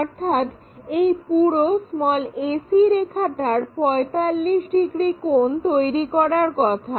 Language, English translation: Bengali, So, this entire ac line supposed to make 45 degrees